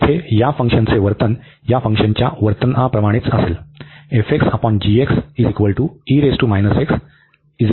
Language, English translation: Marathi, So, the behavior of this function here will be the same as the behaviour of this function